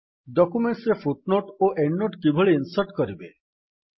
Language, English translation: Odia, How to insert footnote and endnote in documents